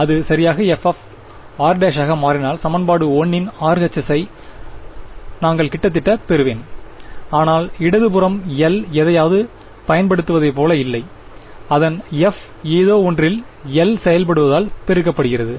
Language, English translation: Tamil, If it will become f of r prime right so, I will get the RHS of equation 1 almost, but the left hand side does not look like L applied to something, its f multiplied by L acting on something